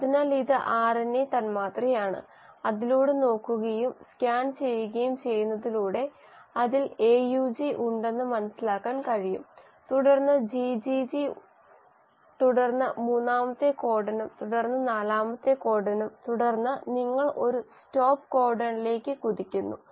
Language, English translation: Malayalam, So this is the RNA molecule and by just looking and scanning through it you can understand that it has AUG followed by GGG then the third codon then the fourth codon and then you bump into a stop codon